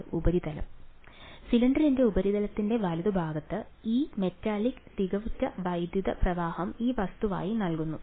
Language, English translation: Malayalam, Surface right of the surface of the cylinder this metallic perfect electric current is given to be this thing